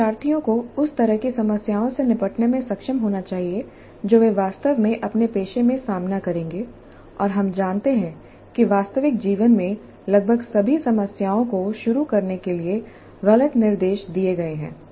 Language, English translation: Hindi, Learners must be able to deal with this kind of problems that they will actually encounter in their profession and we know that in their life almost all the problems are ill structured to begin with